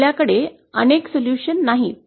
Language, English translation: Marathi, We donÕt have multiple solutions